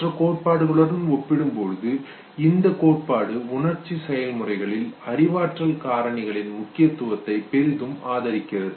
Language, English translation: Tamil, Now compared to other theories, this theory overwhelmingly support the significance of cognitive factors in emotional processes